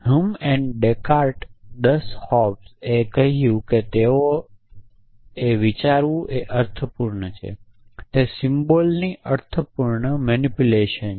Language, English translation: Gujarati, They said Hume and deccart 10 hobs they said thinking is meaningful; meaningful manipulation of symbols